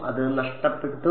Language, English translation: Malayalam, It is lost